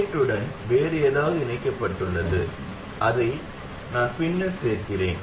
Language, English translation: Tamil, There is something else connected to the gate that I will add on later